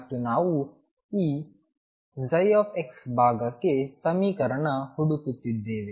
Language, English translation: Kannada, And we are looking for the equation for this psi x part